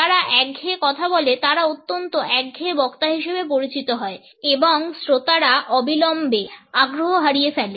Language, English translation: Bengali, People who speaks in monotones come across as highly monotones speakers and the audience immediately lose interest